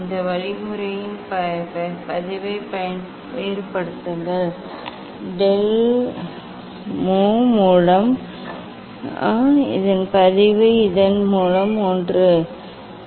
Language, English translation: Tamil, then differentiate log of this means, del mu by mu and log of this means one by this and this differentiation of this one, ok